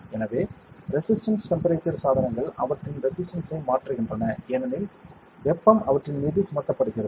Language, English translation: Tamil, So, resistance temperature devices change their resistance as heat is impeached on them that is the idea